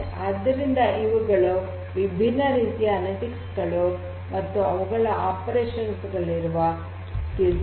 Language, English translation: Kannada, So, these are the different types of analytics and their corresponding time skills of operation